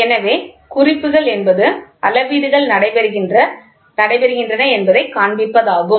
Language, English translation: Tamil, So, indicating is just to show what is the measurements going on